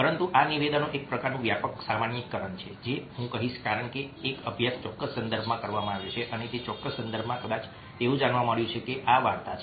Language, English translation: Gujarati, but these statements are kind of sweeping generalizations, i would say, because a study has been done within a particular context and within that particular context probability has been found that this is the story